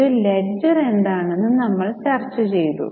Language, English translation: Malayalam, We have just discussed what is a ledger